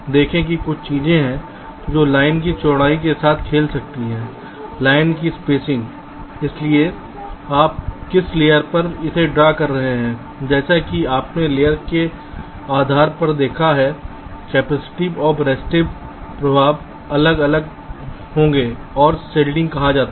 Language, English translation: Hindi, see, there are a few things that can do: play with width of the line, spacing of the line, so on which layer you are drawing it, as you have seen, depending on the layer, the capacitive and resistive effects will be different and something called shielding